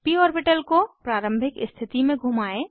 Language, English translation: Hindi, Rotate the p orbital to original position